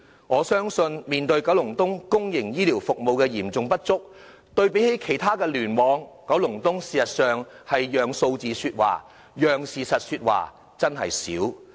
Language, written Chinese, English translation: Cantonese, 我相信，面對區內公營醫療服務的嚴重不足，與其他聯網對比，九龍東事實上很少讓數字說話、讓事實說話。, I believe given the severe shortage of public healthcare services in the district compared to other clusters Kowloon East has seldom let the figures and facts speak for itself